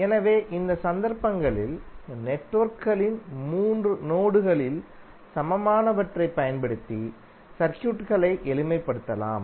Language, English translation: Tamil, So in these cases, the simplification of circuits can be done using 3 terminal equivalent of the networks